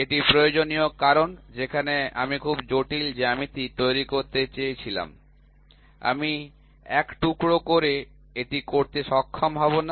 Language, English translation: Bengali, So, this is required because wherever I wanted to create a very complex geometry, I will not be able to do it in a single piece